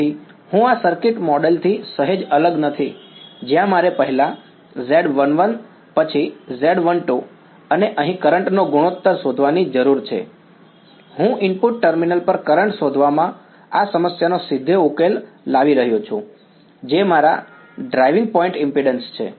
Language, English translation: Gujarati, So, I do not it slightly different from this circuit model where I need to first find out Z 1 1 then Z 1 2 and the ratio of currents here, I am directly solving this problem finding out the current at the input terminal that is my driving point impedance right